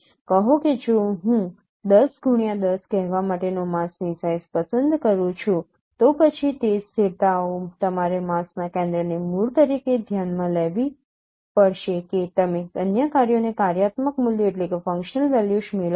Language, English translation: Gujarati, Say if I choose a mask size of say, say, say 10 cross 10, then in that pixels you have to find out considering the center of the mask as the origin, you get the functional values in other locations